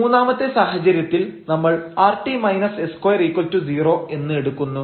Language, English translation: Malayalam, The third situation we will take when this rt minus s square is equal to 0